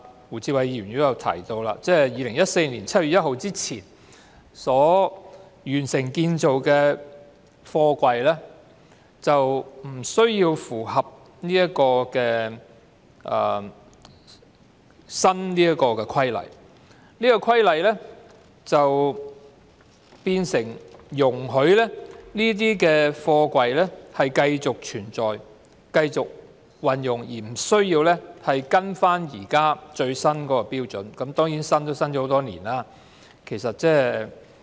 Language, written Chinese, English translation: Cantonese, 胡志偉議員剛才也提到，《條例草案》訂明在2014年7月1日之前完成建造的貨櫃不需要符合修訂法例，即是說修訂法例容許這些貨櫃繼續存在及使用，不需要跟隨現時的最新標準，但即使是最新標準亦已訂立多年。, As mentioned by Mr WU Chi - wai just now the Bill provides that containers constructed before 1 July 2014 are not required to comply with the amended legislation . In other words the amended legislation allows these containers to remain in use without having to meet the latest standard even though the latest standard was drawn up many years ago